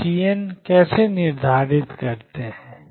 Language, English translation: Hindi, How do we determine C n